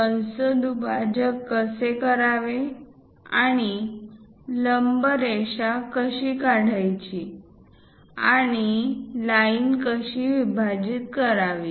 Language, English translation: Marathi, How to bisect an arc and how to draw perpendicular lines and how to divide a line